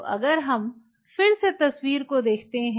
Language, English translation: Hindi, So, if we just look through the picture